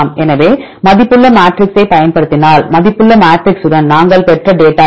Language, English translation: Tamil, So, this is the data which we obtained with the weighted matrix if we use the weighted matrix